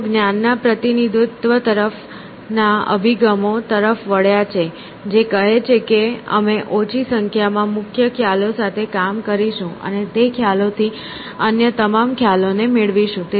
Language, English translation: Gujarati, They have been approaches to knowledge representation which says that we will work with small number primitive concepts and derive all other concepts from those concepts essentially